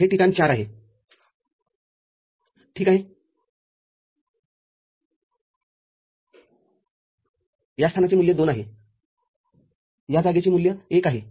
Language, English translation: Marathi, This place value is 4 ok, this place value is 2, this place value is 1